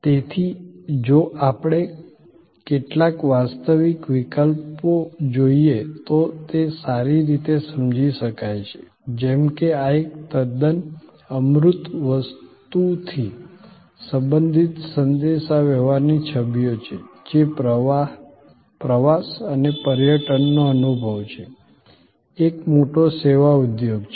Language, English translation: Gujarati, So, it is be well understood if we look at some actual cases, like these are images from communications relating to a quite an intangible thing, which is a tourism experience, travel and tourism experience, a big service industry